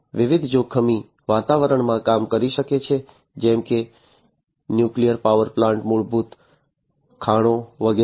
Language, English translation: Gujarati, It can work in different hazardous environments such as nuclear power plants, underground mines, and so on